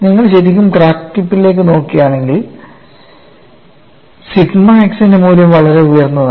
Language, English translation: Malayalam, See if you look at really at the crack tip, the value of sigma x is very high